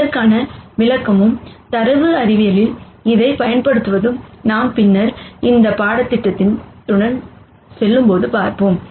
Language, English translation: Tamil, The interpretation for this and the use for this in data science is something that we will see as we go along this course later